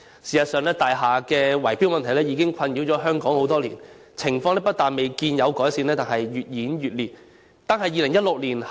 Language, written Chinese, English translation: Cantonese, 事實上，大廈圍標問題已困擾香港多年，情況不但未見改善，反而越演越烈。, In fact bid - rigging in connection with buildings has been plaguing Hong Kong for years . Instead of showing any sign of improvement the situation has gone from bad to worse